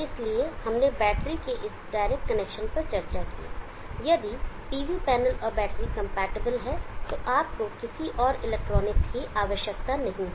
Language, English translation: Hindi, So we discussed about this direct connection of the battery if the PV panel and battery are compatible, then you do not need any further electronics